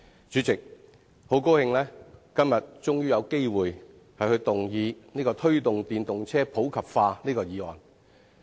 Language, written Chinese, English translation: Cantonese, 主席，很高興今天終於有機會動議"推動電動車普及化"議案。, President today I am very glad to have the chance to move the motion on Promoting the popularization of electric vehicles at long last